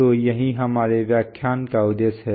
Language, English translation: Hindi, So that is the purpose of our lecture